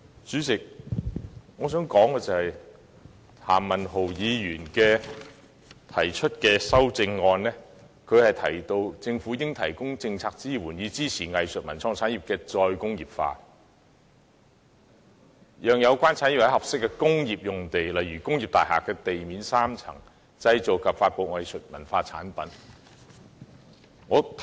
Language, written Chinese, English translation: Cantonese, 主席，我想指出，譚文豪議員在修正案中提到："政府應提供政策支援，以支持藝術文創產業的'再工業化'，讓有關產業在合適工業用地製造及發布藝術文創產品"。, President I wish to point out that Mr Jeremy TAM has stated in his amendment that the Government should provide policy support to back up the re - industrialization of arts cultural and creative industries so that these industries can make and disseminate their arts cultural and creative products at appropriate industrial sites